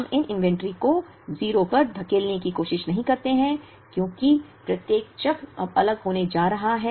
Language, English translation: Hindi, We do not try to push these inventories to 0, because each cycle is now, going to be different